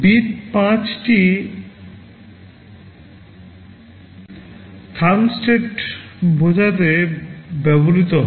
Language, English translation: Bengali, Bit 5 is used to denote thumb state